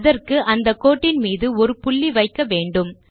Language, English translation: Tamil, For this, we will first put a dot on the line